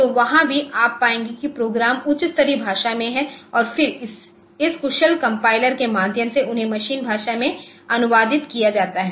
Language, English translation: Hindi, So, there also you will find that the programs are it mean high level language only and then through this efficient compilation so, they are translated into the machine language